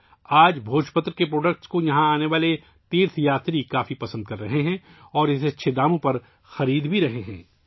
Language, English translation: Urdu, Today, the products of Bhojpatra are very much liked by the pilgrims coming here and are also buying it at good prices